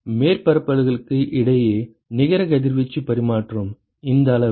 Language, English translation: Tamil, So, the net radiation exchange between the surfaces this quantity